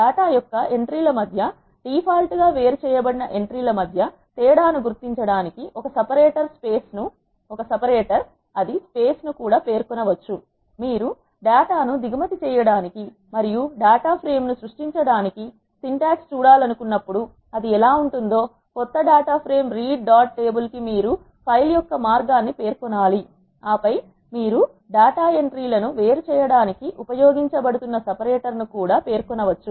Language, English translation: Telugu, A separator can also be specified to distinguish between entries the default separated between the entries of data is space, when you want to see the syntax for importing the data and creating a data frame this is how it looks; new data frame is read dot table you have to specify the path of the file and then you can also specify the separator that is being used to separate the entries of data